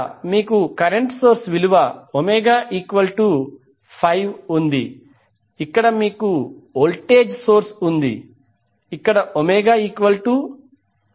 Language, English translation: Telugu, Here you have current source Omega is 5, here you have voltage source where Omega is 2